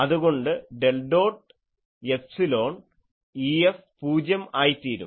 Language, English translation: Malayalam, So, I can say del dot epsilon E F that also becomes 0